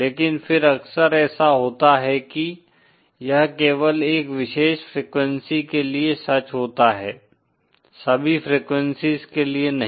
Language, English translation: Hindi, But then often it happens that this is true only for a particular frequency, not for all frequencies